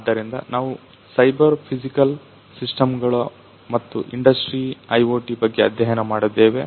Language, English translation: Kannada, So, we have studied about cyber physical systems and Industrial IoT